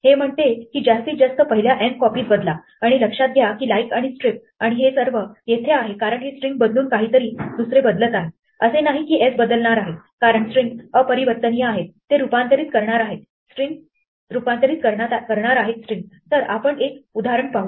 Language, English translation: Marathi, It says replace at most the first n copies and notice that like and strip and all that, here it's because changing this string replacing something by something else, is not that s is going to change because strings are immutable is going to return us the transform string